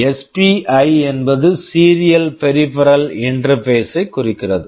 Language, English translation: Tamil, SPI stands for Serial Peripheral Interface